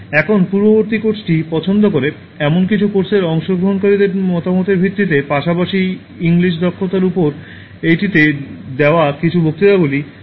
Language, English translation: Bengali, Now based on the feedback from some of the course participants who liked the previous course, as well as some of the lectures given in this one on English Skills